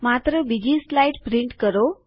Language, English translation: Gujarati, Print only the 2nd slide